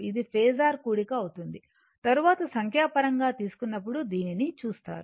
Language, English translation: Telugu, It will be phasor sum , we will see that later when we will take the numerical, right